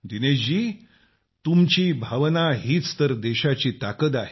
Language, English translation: Marathi, Fine Dinesh ji…your sentiment is the strength of the country